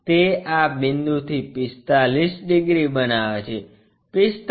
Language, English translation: Gujarati, It makes 45 degrees from this point, 45